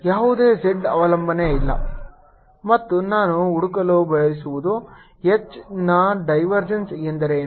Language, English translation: Kannada, there is no z dependence and what we want to find is what is divergence of h